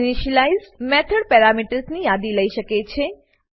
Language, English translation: Gujarati, An initialize method may take a list of parameters